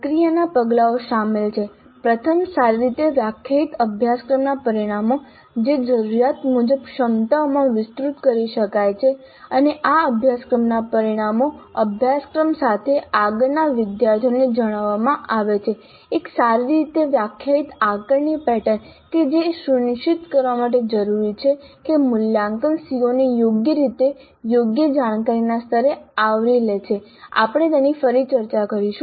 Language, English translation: Gujarati, The process steps involved are first well defined course outcomes which can be expanded to competencies as required and these course outcomes are communicated to the students upfront along with the syllabus and a well defined assessment pattern that is essential to ensure that the assessment covers the COA properly at proper cognitive levels we will discuss that